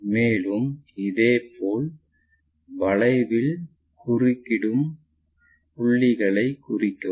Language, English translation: Tamil, And, similarly mark and arcs which are going to intersect